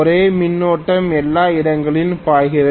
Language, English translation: Tamil, The same current flows everywhere